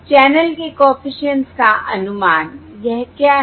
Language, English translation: Hindi, this is estimate of the channel coefficient across the